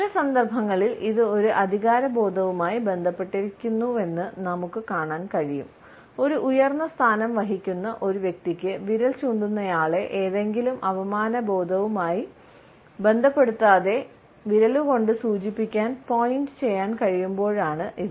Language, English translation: Malayalam, In some cases we find that it is also associated with a sense of authority, when a person holding a superior position can indicate other people with a finger, without associating the finger pointer with any sense of insult